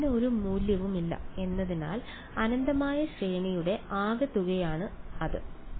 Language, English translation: Malayalam, For no value for it is a the sum of the infinite series is that yeah